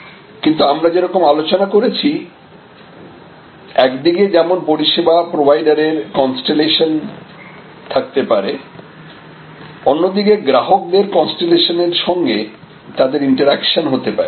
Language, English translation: Bengali, But, as we also discussed, that there can be a constellation of service providers on one side interacting with a constellation of customers on the other side